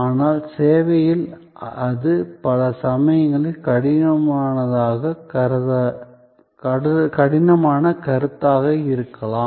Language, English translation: Tamil, But, in service, that perhaps is a difficult proposition on many occasions